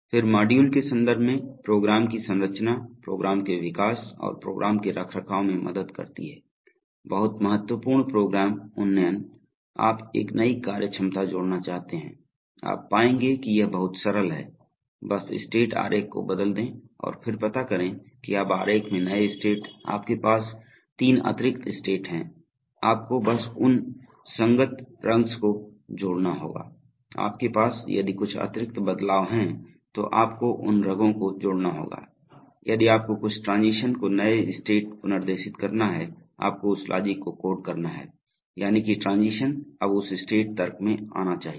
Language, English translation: Hindi, Then structuring of programs in terms of module helps in program development and program maintenance, very important program upgradation, you want to add a new functionality, you will find that it is very simple, just change the state diagram and then find out that now in the new state diagram, if you have three extra states, simply you have to add those corresponding rungs, if you have some extra transitions, you have to add those rungs and if you have to redirect some transitions to now new states then you have to code that logic, that is, that transition should now come in that state logic